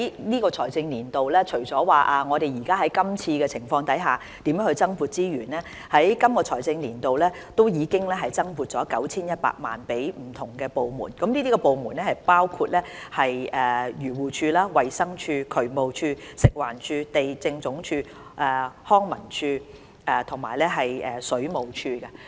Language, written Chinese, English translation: Cantonese, 在本財政年度，我們除了研究該如何就今次情況增撥資源外，其實本財政年度已增撥了 9,100 萬元予不同部門，當中包括漁農自然護理署、衞生署、渠務署、食環署、地政總署、康樂及文化事務署和水務署。, In this financial year besides studying how additional resources should be allocated according to the current situation we have actually made an additional allocation of 91 million to various government departments including the Agriculture Fisheries and Conservation Department the Department of Health the Drainage Services Department FEHD the Lands Department the Leisure and Cultural Services Department and the Water Supplies Department